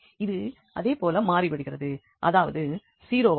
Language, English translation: Tamil, So, they become same and that means this is 0